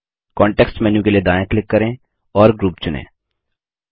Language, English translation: Hindi, Right click for context menu and select Group